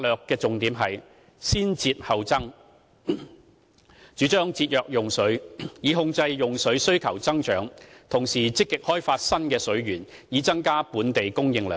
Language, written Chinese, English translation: Cantonese, 其重點是"先節後增"，主張節約用水，以控制用水需求增長；同時積極開發新的水源，以增加本地供應量。, The key was to save water and then increase water supply and the idea was to conserve water so as to contain growth demand while actively developing new water resources to increase supply locally